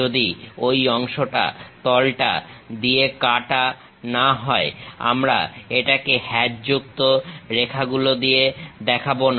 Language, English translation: Bengali, If that part is not cut by the plane, we will not show it by hatched lines